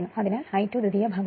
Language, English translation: Malayalam, So, I 2 is on the secondary side